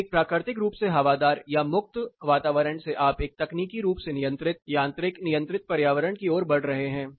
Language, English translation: Hindi, So, from a naturally ventilated or a free running environment you are moving towards a technologically controlled, mechanical controlled, and environment